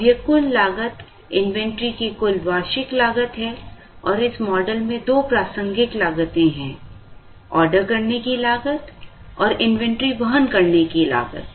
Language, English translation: Hindi, Now, this total cost is the total annual cost of inventory and in this model, the two relevant costs are the ordering cost and the inventory carrying cost